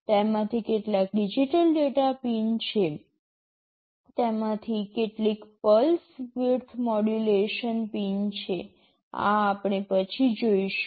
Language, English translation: Gujarati, Some of them are digital data pins, some of them are pulse width modulation pins; these we shall see later